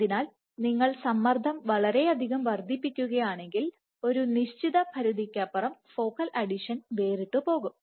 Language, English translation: Malayalam, So, if you increase the tension too much, then beyond a certain point focal adhesion will fall apart